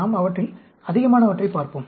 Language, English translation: Tamil, Let us look at more of them